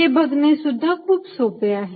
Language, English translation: Marathi, that is also very easy to see